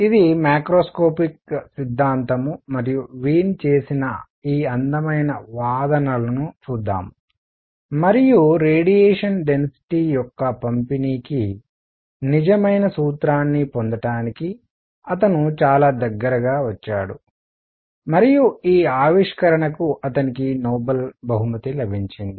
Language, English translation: Telugu, It is a macroscopic theory and let us look at these beautiful arguments by Wien and he came very very close to obtaining the true formula for the distribution of spectral density and he was actually awarded Nobel Prize for this discovery